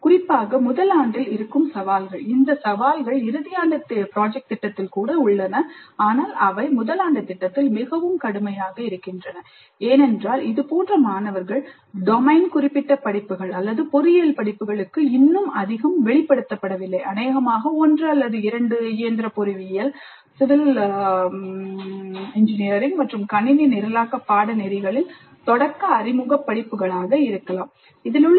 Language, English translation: Tamil, The challenges which are present particularly in first year, these challenges exist even in final year project, but they become more severe with first year project because the students as it are not yet exposed to domain specific courses or engineering courses, much, maybe one or two elementary introductory courses in mechanical engineering, civil engineering, and a computer programming course